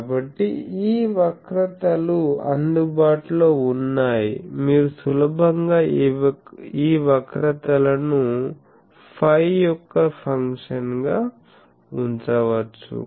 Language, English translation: Telugu, So, these curves are available, you can easily put these curves as a function of phi